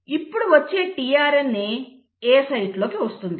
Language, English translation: Telugu, Now the incoming tRNA is coming at the A site